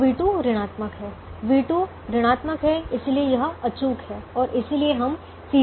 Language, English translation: Hindi, so v two is negative, v two is negative, therefore it is infeasible and therefore we look at c j minus z j